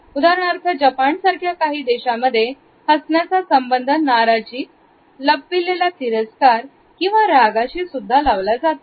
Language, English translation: Marathi, For example, in Japan as well as in certain other countries I smile can also indicate a concealed embarrassment, displeasure or even anger